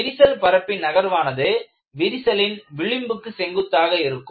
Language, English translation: Tamil, The displacement of crack faces is perpendicular to the plane of the crack